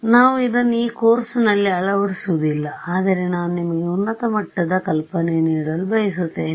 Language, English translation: Kannada, So, we are not actually going to implement this in this course, but I just want to give you the high level idea